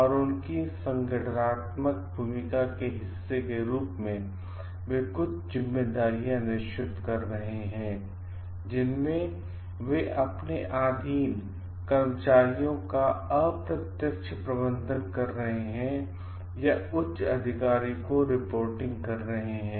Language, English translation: Hindi, And as a part of their organizational role they are taking up certain responsibilities in which they are indirect managing subordinates or like reporting to higher authorities